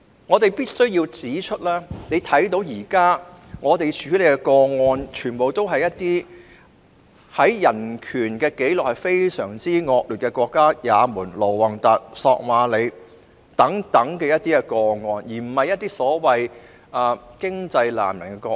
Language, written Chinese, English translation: Cantonese, 我們必須要指出，現在處理的個案，全部都是涉及一些在人權紀錄上非常惡劣的國家，例如也門、盧旺達、索馬里等，而非一些經濟難民的個案。, We must point out that all the cases that we are now handling involve some countries which have very poor human rights records for example Yemen Rwanda and Somalia instead of cases concerning economic refugees